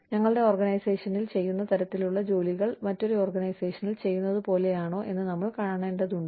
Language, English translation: Malayalam, We need to find out, whether the kind of jobs, that are being carried out, in our organization, are similar to something, that is being done, in another organization